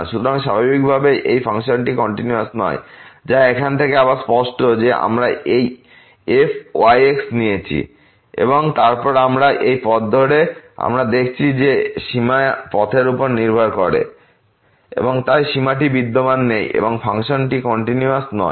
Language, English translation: Bengali, So, naturally these functions are not continuous, which is clear again from here we have taken this and then along this path we have seen that the limit depends on path and hence the limit does not exist and the function is not continuous